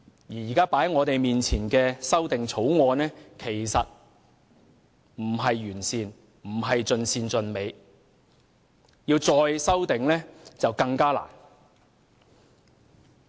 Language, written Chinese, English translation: Cantonese, 現時放在我們面前的《條例草案》並不完善，亦非盡善盡美，日後要再修訂將更加困難。, The Bill before us right now is not flawless or perfect . It would be more difficult to make further amendments in the future